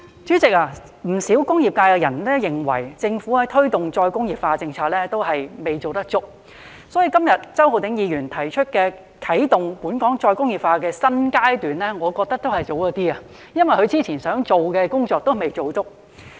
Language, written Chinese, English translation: Cantonese, 主席，不少工業界人士認為，政府推動的再工業化政策仍有所不足，所以周浩鼎議員今天提出"啟動本港再工業化發展的新階段"議案，我認為還是有點早，因為當局之前想做的工作仍未做足。, President many members from the industrial sector consider the Governments policy on re - industrialization still inadequate . Therefore I find it a bit premature for Mr Holden CHOW to propose the motion on Commencing a new phase in Hong Kongs development of re - industrialization today because the authorities have not yet accomplished all the work they previously wanted to do